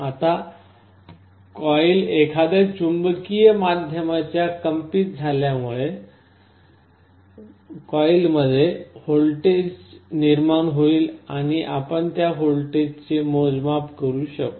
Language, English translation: Marathi, Now, as the coil vibrates inside a magnetic medium, a voltage will be induced in the coil and you can measure that voltage